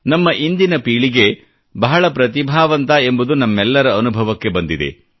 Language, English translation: Kannada, All of us experience that this generation is extremely talented